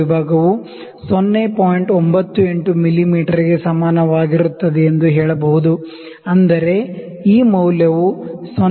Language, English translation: Kannada, 98 mm, which means this value is 0